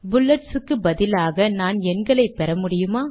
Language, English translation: Tamil, Can I get numbers in the place of bullets here